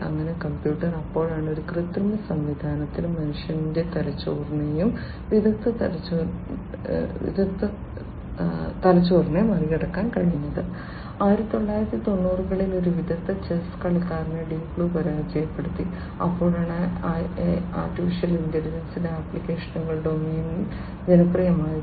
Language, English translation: Malayalam, So, the computer so, that was when an artificial system was able to supersede the brain of a human being and an expert brain, an expert chess player was defeated by Deep Blue in 1990s and that is when the applications of AI became popular in the domain of games and chess, particularly